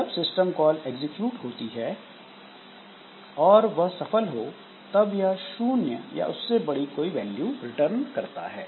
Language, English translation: Hindi, Now, when this system call is executed, then if the call is successful in that case it will return a value which is greater or equal 0